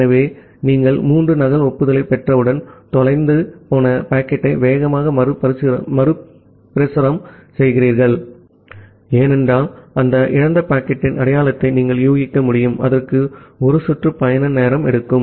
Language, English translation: Tamil, So, once you receive three duplicate acknowledgement, you retransmit the lost packet that is the fast retransmission, because you can infer the identity of that lost packet, it takes one round trip time